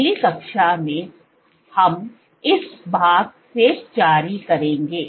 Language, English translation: Hindi, In the next class, we will continue from this part